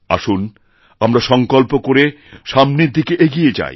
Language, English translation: Bengali, Let us forge ahead with a strong resolution